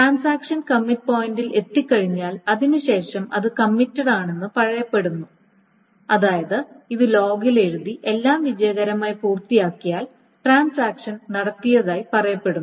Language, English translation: Malayalam, So now beyond this commit point, so once the transaction reaches a commit point and after that it is said to be committed, that means once this is written on the log and everything has been done successfully, then the transaction is said to be committed